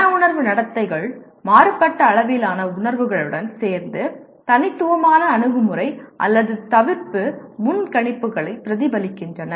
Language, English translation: Tamil, Affective behaviors are accompanied by varying degrees of feelings and reflect distinct “approach” or “avoidance” predispositions